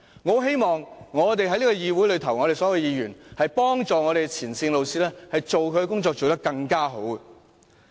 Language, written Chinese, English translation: Cantonese, 我希望所有議員都幫助前線老師把工作做得更好。, I hope all Members would help frontline teachers do a better job